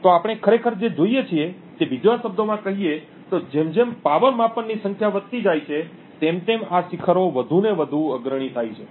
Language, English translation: Gujarati, So, speaking in another words what we actually see is that as the number of power measurements increases, this peak becomes more and more prominent